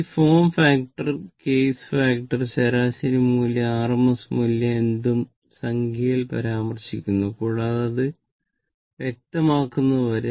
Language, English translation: Malayalam, So, form factor case factor average value rms value, I think it is understandable to you right